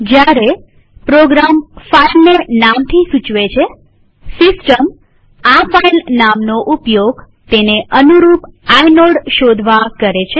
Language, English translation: Gujarati, Whenever a program refers to a file by name, the system actually uses the filename to search for the corresponding inode